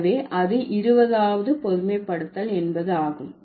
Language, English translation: Tamil, So, that was about the 20th generalization